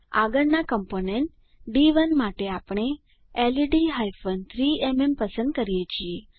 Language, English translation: Gujarati, For the next component D1 we choose LED hyphen 3MM